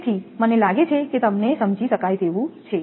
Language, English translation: Gujarati, So, I think it is understandable to you